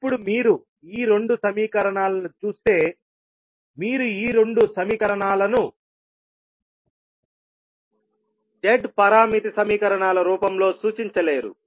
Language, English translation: Telugu, Now, if you see these two equations you cannot represent these two equations in the form of Z parameter equations